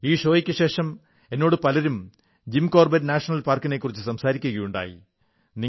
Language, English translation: Malayalam, After the broadcast of this show, a large number of people have been discussing about Jim Corbett National Park